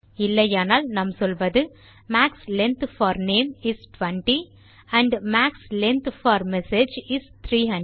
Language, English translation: Tamil, Otherwise we will say Max length for name is 20 and max length for message is 300